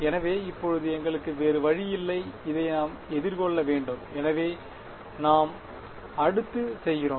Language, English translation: Tamil, So, now, we have no choice now we must face this right, so that is what we do next